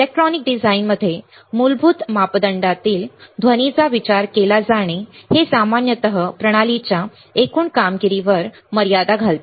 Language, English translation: Marathi, Noise in fundamental parameter to be considered in an electronic design it typically limits the overall performance of the system